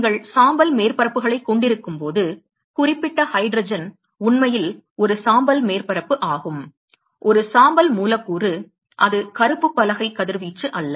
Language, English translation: Tamil, When you have gray surfaces, particular hydrogen is actually a gray surfaces; a gray molecule it is not black board radiation